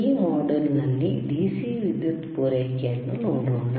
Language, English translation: Kannada, Today in this particular module, let us see the DC power supply